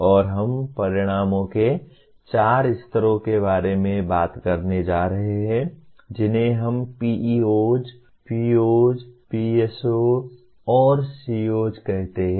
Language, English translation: Hindi, And we are going to talk about 4 levels of outcomes namely, we call them as PEOs, POs, PSOs, and COs